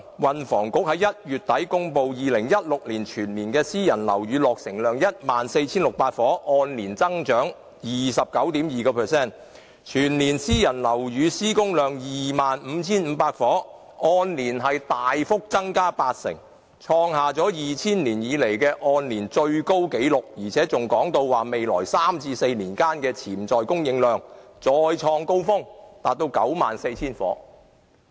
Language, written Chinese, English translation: Cantonese, 運輸及房屋局在1月底公布2016年全年私人樓宇落成量是 14,600 伙，按年增長 29.2%， 全年私人樓宇施工量 25,500 伙，按年大幅增加8成，創下了2000年以來的按年最高紀錄，而且還說未來3至4年間的潛在供應量會再創高峰，達到 94,000 伙。, According to the statistics released by the Transport and Housing Bureau in the end of January private residential units completed in 2016 reached 14 600 units indicating a year - on - year increase of 29.2 % while private residential units constructed in the year reached 25 500 units indicating a great leap of 80 % and registering a new record high since 2000 . The Bureau also says that there will be a potential supply of 94 000 units in the coming three to four years which will make another new record